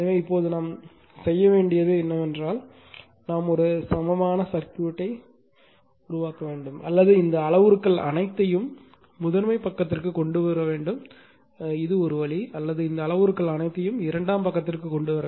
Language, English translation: Tamil, So, now, what we have to do is we have to make an equivalent circuit either it will bring either you bring all this parameters all this parameters to the primary side this is one way or you bring all these parameters to the secondary side either of this